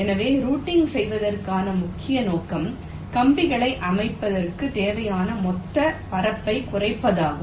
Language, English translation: Tamil, so the main objective for routing is to minimize the total area required to layout the wires so broadly